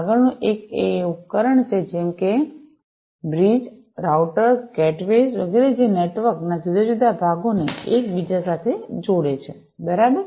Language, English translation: Gujarati, The next one is the devices such as the bridges, routers, gateways etcetera, which interlink different parts of the network, right